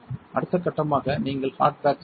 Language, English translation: Tamil, Next step would be you perform hard bake